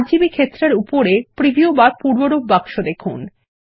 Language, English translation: Bengali, Look at the preview box above the RGB field